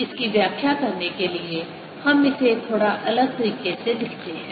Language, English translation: Hindi, to interpret this, let us write it slightly differently